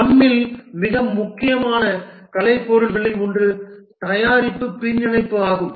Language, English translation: Tamil, One of the most important artifact in the scrum is the product backlog